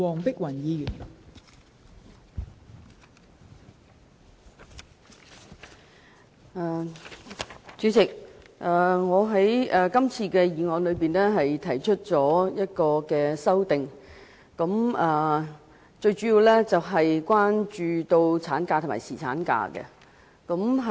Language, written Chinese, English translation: Cantonese, 代理主席，我對原議案提出的修正案主要是關於產假和侍產假。, Deputy President the amendment proposed by me to the original motion is mainly related to maternity leave and paternity leave